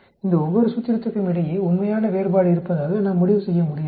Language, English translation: Tamil, We cannot conclude that there is a real difference between each of these formulations